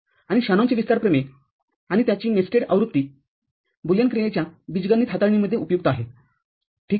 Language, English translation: Marathi, And Shanon’s expansion theorem and its nested version is useful in algebraic manipulation of a Boolean function, ok